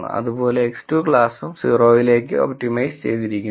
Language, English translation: Malayalam, And similarly X 2 is optimized to be in class 0